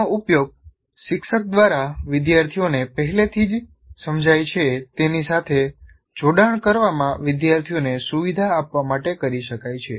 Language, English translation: Gujarati, It can be used by a teacher, by the teacher to facilitate the students to make links with what students already understood